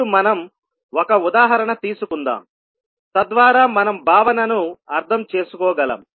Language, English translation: Telugu, Now let us take one example so that we can understand the concept